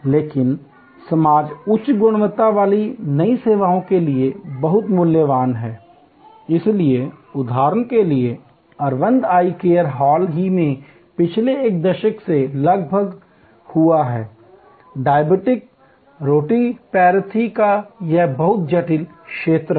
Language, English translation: Hindi, But, very valuable for the society high quality new services, so for example, Aravind Eye Care was recently engaged over the last decade or so, this very complex area of diabetic retinopathy